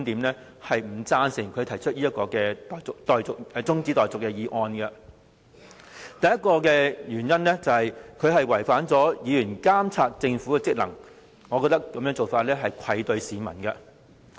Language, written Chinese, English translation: Cantonese, 第一個原因，中止待續議案違反議員監察政府的職能。我認為這種做法愧對市民。, As for the first reason the adjournment motion is in contravention with the duty and function of Members to monitor the Government